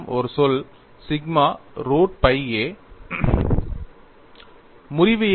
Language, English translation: Tamil, You have a terminology sigma root pi a